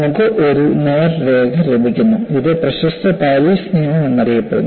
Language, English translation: Malayalam, And you get a straight line, and this is known as same as Paris law